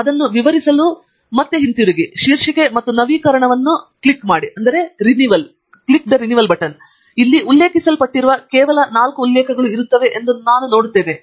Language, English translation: Kannada, And I would just do that to illustrate, and come back, and click on the Title and Update, and you would see that only four references are present which are been referred here